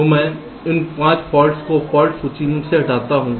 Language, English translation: Hindi, so i remove those five faults from the fault list